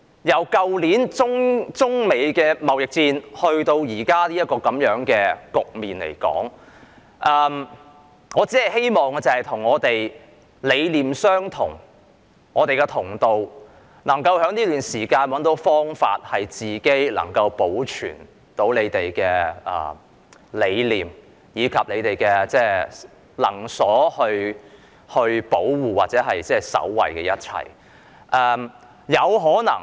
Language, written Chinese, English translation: Cantonese, 由去年中美貿易戰至現時這個局面，我只希望與理念相同的同道人在這段時間找到方法，保存自己的理念和能所保護或守衞的一切。, From last years Sino - United States trade war to the current situation I only hope to join hands with people sharing the same ideology to find ways during this period of time to preserve our ideology and protect or safeguard as much as we can